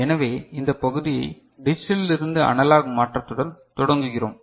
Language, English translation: Tamil, So, we begin with digital to analog conversion this part